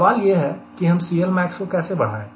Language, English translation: Hindi, ok, the question that how do i increase this c l max